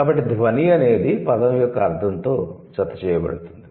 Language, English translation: Telugu, So, the sound is attached to the meaning of the word